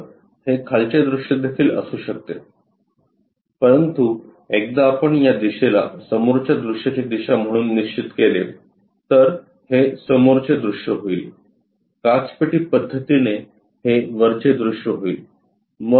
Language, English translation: Marathi, So, that can be bottom view also, but once we fix this one as the front view direction, then this will becomes this is the front view this is the top view for glass box method